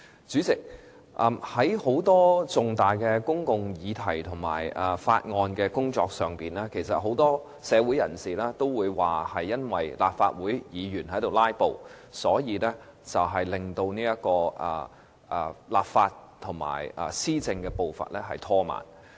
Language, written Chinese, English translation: Cantonese, 主席，在很多重大的公共議題和法案工作上，很多社會人士都認為由於立法會議員"拉布"，以致立法和施政步伐被拖慢。, President insofar as numerous major public issues and processing Bills are concerned many members of the community think that the pace of enacting legislation and administration has been slowed down due to filibustering by some Members of this Council